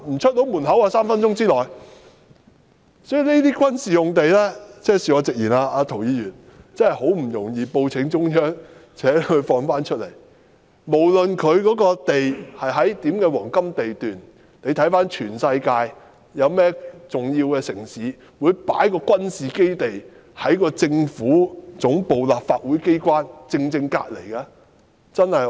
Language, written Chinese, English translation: Cantonese, 所以，涂議員，恕我直言，這些軍事用地真的難以報請中央釋放出來，無論這些用地是否在黃金地段，而環顧全世界，有哪個重要的城市會把軍事基地正正放在政府總部和立法機關的旁邊呢？, So with due respect Mr TO it is really difficult to report to the Central Government for approval on releasing these military sites disregarding whether they are situated at prime sites or not . If we take an overview around the world in which major cities do we find a military base located right beside the government headquarters and the legislature?